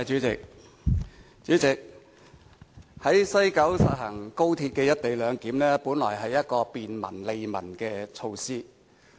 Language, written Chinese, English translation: Cantonese, 主席，在西九實行高鐵"一地兩檢"，本來是一項便民、利民的措施。, President the co - location arrangement for the Express Rail Link XRL in West Kowloon aims to improve convenience and benefit the people